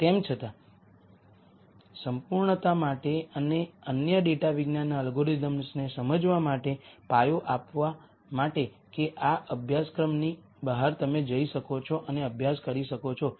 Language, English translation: Gujarati, Nonetheless for the sake of completeness and for the sake of giving the foundations for understanding other data science algorithms that outside of this course that you might go and study